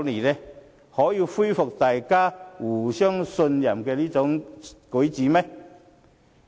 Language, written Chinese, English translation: Cantonese, 是否可以恢復大家互相信任的舉措？, Or is their action conducive to restoring mutual trust?